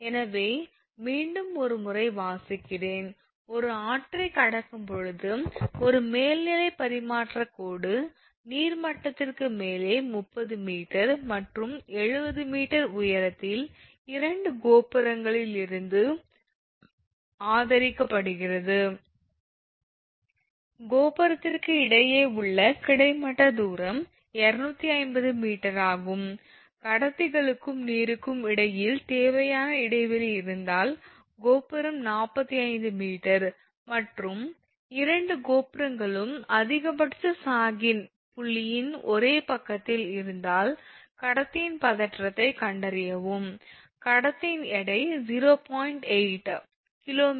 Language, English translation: Tamil, So, just reading once again the problem; An overhead transmission line at a river crossing is supported a from 2 towers at heights of 30 meter and 70 meter above the water level, the horizontal distance between the tower is 250 meters, if the required clearance between the conductors and the water midway between the tower is 45 meter, and if both the towers are on the same side of the point of maximum Sag, find the tension in the conductor, the weight of the conductor is given 0